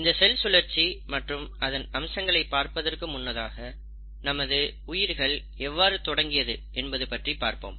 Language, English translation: Tamil, Now before I get into what is cell cycle and what are the different features of cell cycle, let’s start looking at how we start our lives